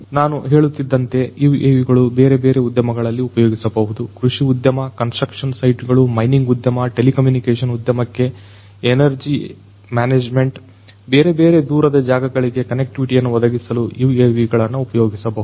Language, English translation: Kannada, UAVs as I was telling you would be used in different industries; in agricultural industry construction sites mining industry, energy management for telecommunication industry, for offering connectivity between different remote places UAVs could be used